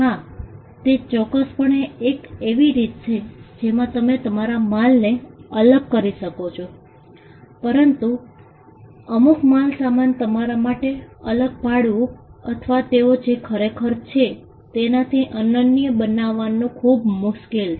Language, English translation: Gujarati, Yes, that is certainly a way in which you can distinguish your goods, but certain goods it is very hard for you to distinguish or to make them unique from what they actually are